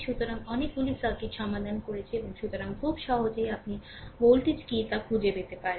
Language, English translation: Bengali, So, many circuits we have solved right and your So, easily you can find out what is the voltage, right